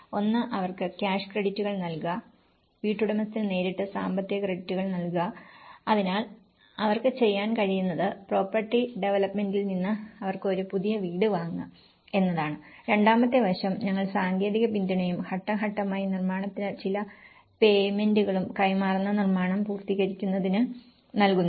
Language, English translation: Malayalam, One is give them the cash credits, direct financial credits to the homeowner, so what they can do is; they can purchase a new house from the property developer wherein the second aspect, we have the provide technical support plus stage by stage you give some certain payments on construction; to completion of the construction that is delivered to the homeowner